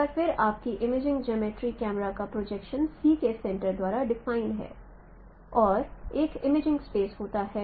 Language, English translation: Hindi, Once again your imaging geometry is defined by a center of camera or center of projection C and there is an imaging plane